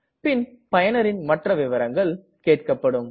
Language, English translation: Tamil, We will be asked for other details too